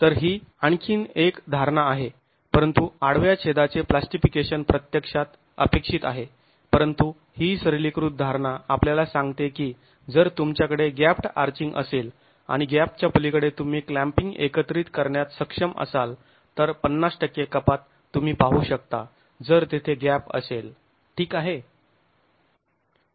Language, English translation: Marathi, So, this is another assumption but plastication of the cross section is actually to be expected but this simplified assumption tells us that if you have gap darching and beyond the gap if you are able to mobilize clamping then a 50% reduction is what you would see if there is a gap